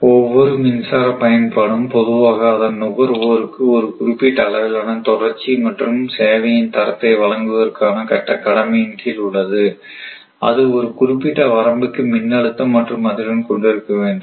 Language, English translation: Tamil, So, every electric utility is normally under obligation to provide to it is consumer a certain degree of continuity and quality of service that is voltage and frequency to a specified range, right